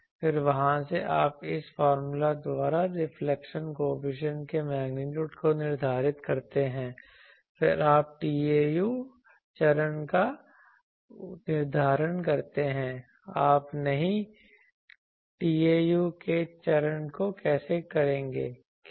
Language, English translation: Hindi, Then from there you determine the magnitude of the reflection coefficient by this formula, then you determine the phase of tau how you will do a phase of not a tau, how